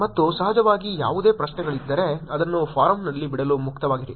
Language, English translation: Kannada, And of course, if there is any questions feel free to drop it on the forum